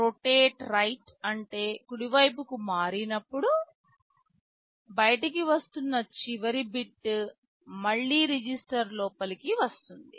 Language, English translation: Telugu, Rotate right means when you shift right the last bit coming out will again get inside the register